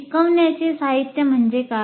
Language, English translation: Marathi, Now what is instructional material